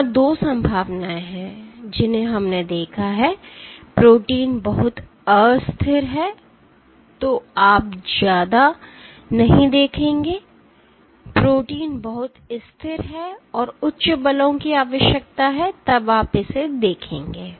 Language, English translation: Hindi, There are 2 possibilities we have seen; protein is very unstable then you would not see much, protein is super stable and requires high forces then you will see it